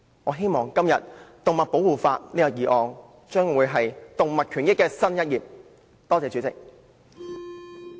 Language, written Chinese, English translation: Cantonese, "我希望這項針對動物保護的議案，將會為動物權益揭開新一頁。, I hope that this motion on animal protection will open a new chapter on animal rights